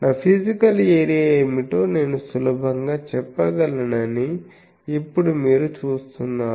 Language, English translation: Telugu, So, now you see I can easily tell that what is my physical area